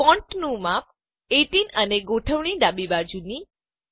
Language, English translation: Gujarati, Font size 18 and Left Alignment